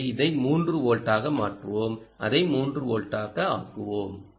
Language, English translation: Tamil, let's make it three volts